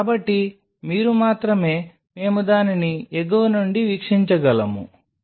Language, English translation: Telugu, So, your only we can view it is from the top